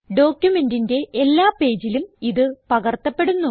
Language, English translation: Malayalam, This will be replicated on all the pages of the document